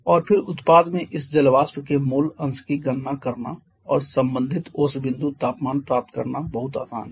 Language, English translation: Hindi, And then it is very easy to calculate the mole fraction of this water vapour in the product and to get the corresponding dew point temperature